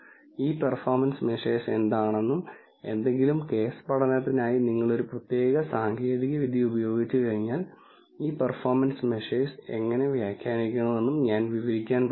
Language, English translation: Malayalam, I am going to describe what these performance measures are and how you should interpret these performance measures once you use a particular technique for any case study